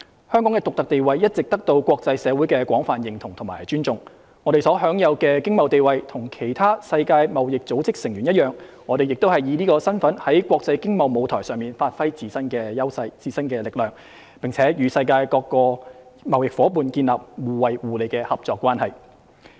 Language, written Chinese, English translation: Cantonese, 香港的獨特地位一直得到國際社會的廣泛認同和尊重，我們所享有的經貿地位跟其他世界貿易組織成員一樣，我們亦以此身份在國際經貿舞台上發揮自身優勢、力量，並與世界各個貿易夥伴建立了互惠互利的合作關係。, Hong Kongs unique status is well recognized and respected by the international community . Our economic and trade status is on par with other WTO members . Also we are making use of this capacity to give play to our advantages and strengths in the international economic and trade arena and establish mutually beneficial partnership with trading partners around the world